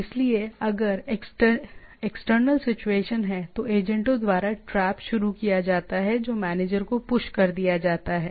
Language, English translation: Hindi, So there if there are external situation the traps are initiated by the agents which are pushed to the manager